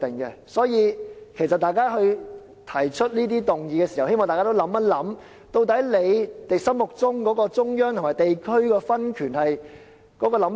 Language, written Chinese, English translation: Cantonese, 因此，當議員提出一項議案時，我希望大家想清楚，究竟自己心目中對中央與地區分權有何想法。, Hence when Members put forth a motion I hope they will think thoroughly about the views they have on the power distribution between central and district authorities . Members should not act inconsistently